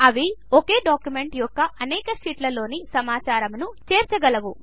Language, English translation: Telugu, These can input information into multiple sheets of the same document